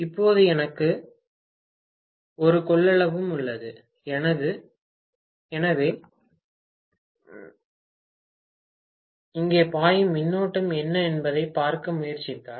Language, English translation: Tamil, Now, I have a capacitance also, so if I try to look at what is the current that is flowing here, okay